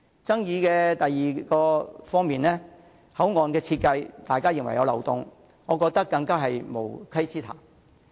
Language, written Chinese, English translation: Cantonese, 第二方面的爭議是大家認為口岸設計有漏洞，我覺得更是無稽之談。, The second area of dispute is the claim concerning the design loopholes of the port areas . I think that is ridiculous